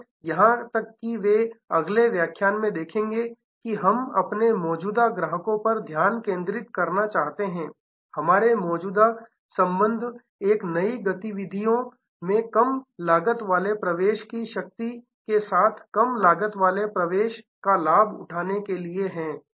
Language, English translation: Hindi, And even they are as well will see in the next lecture we will like to focus on our existing customers, our existing relations to leverage a low cost entry with other low cost entry into a new activities